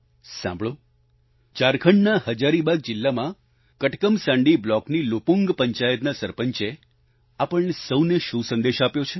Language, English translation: Gujarati, Come let's listen to what the Sarpanch of LupungPanchayat of Katakmasandi block in Hazaribagh district of Jharkhand has to say to all of us through this message